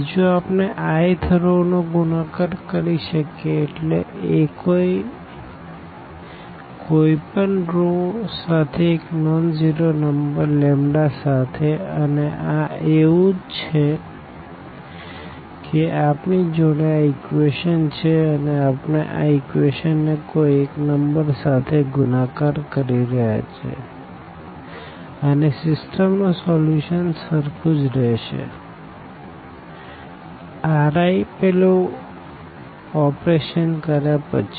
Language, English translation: Gujarati, The second one we can multiply the i th row means any row by a nonzero number lambda and this is precisely equivalent to saying that we have those equations and we are multiplying any equation by some number and again that system the solution of the system will remain we remain the same with that operation